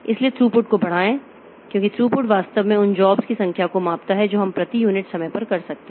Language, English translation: Hindi, So, increased throughput because throughput actually measures the number of jobs that we can do per unit time